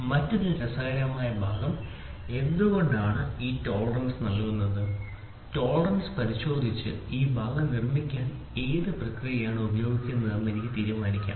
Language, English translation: Malayalam, And the other interesting part is why is this tolerance given, looking into the tolerance I can also decide which process used to produce this part